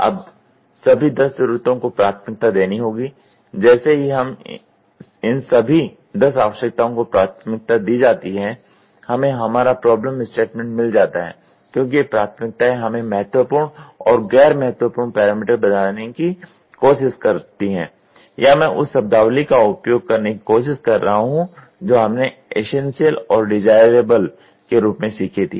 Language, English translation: Hindi, Now, all the 10 needs have to be prioritised all that needs have to be prioritised and moment these 10 needs are prioritised then finally, what we get is a problem statement because these prioritisation tries to tell us significant parameters, significant and non significant or I will try to use the same terminology what we learnt essential and desirable